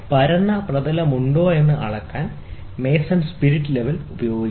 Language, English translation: Malayalam, Majority of the mason use spirit level to measure, whether there flat surface